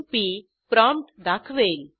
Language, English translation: Marathi, p display the prompt